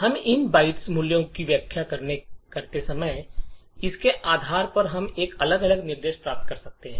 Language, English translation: Hindi, So, depending on how we interpret these byte values we can get different instructions